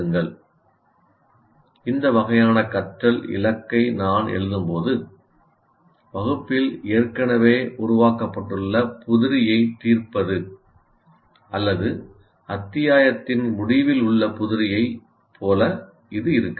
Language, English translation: Tamil, When I write this kind of thing, learning goal, it may not be like solving the problems that are already worked out in the class or at the end of the chapter of problems, it may not be that